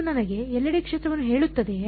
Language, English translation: Kannada, Does this tell me the field everywhere